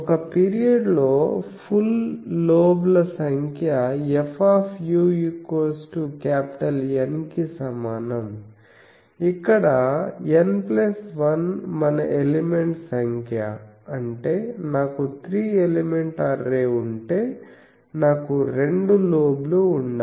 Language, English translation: Telugu, In number of full lobes in one period of F u one period of F u that equals N, where N plus 1 is our element number that means, if I have three element array, I should have two lobes